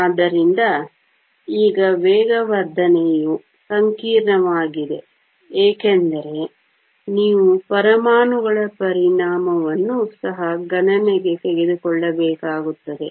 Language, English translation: Kannada, So, the acceleration now is complicated because you also have to take into account the effect of the atoms